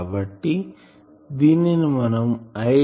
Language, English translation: Telugu, So, I will have